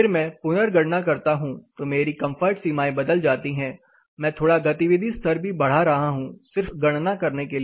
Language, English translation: Hindi, 5 and I am saying recalculate the comfort limits will be changed I am increasing the activity levels slightly and just for a calculation sake